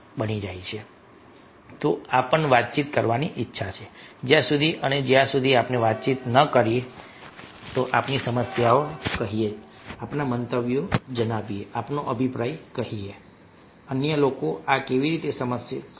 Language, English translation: Gujarati, unless and until we are communicating telling our problem, telling our views, telling our opinion how others will understand